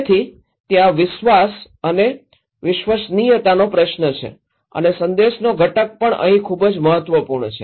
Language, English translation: Gujarati, So, there is a question of trust and creditability and also the component of message is very important component here